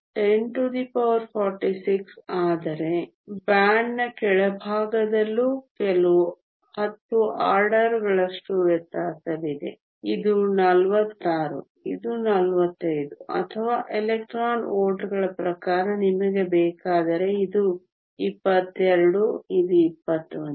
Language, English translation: Kannada, So, 10 to the 46 but even at the bottom of the band the difference is only 10 orders of magnitude this is 46 this is 45 or if you want in terms of electron volts this is 22, this is 21